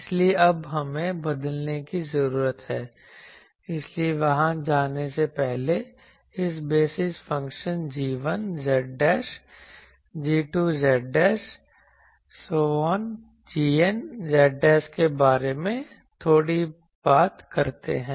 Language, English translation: Hindi, So, that we now need to change; so, before going there let us talk a bit about these basis functions g 1 z dash g 2 z dash g n z dash